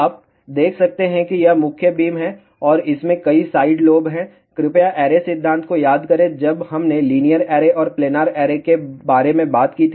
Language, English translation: Hindi, You can see that this is the main beam and there are multiple side lobes are there, please recall array theory when we talked about linear array and planar array I did mentioned to you there will be side lobe levels